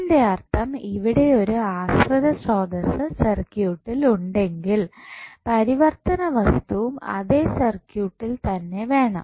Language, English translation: Malayalam, That means if there is a dependent source in the circuit, the variable should also be in the same circuit